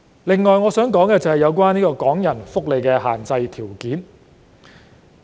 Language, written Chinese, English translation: Cantonese, 此外，我想談談有關港人福利的限制條件。, In addition I would like to talk about the restrictions on the social security allowance for Hong Kong people